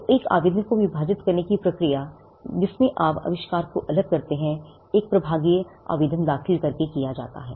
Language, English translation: Hindi, So, the process of dividing an application, wherein, you separate the invention, is done by filing a divisional application